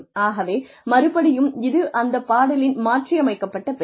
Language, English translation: Tamil, So again, this is a modification of the name of the actual play